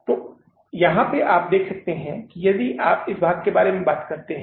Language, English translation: Hindi, So here you see that if you talk about this part, in this part I have given you here one problem